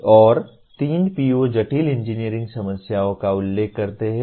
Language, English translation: Hindi, And three POs mention complex engineering problems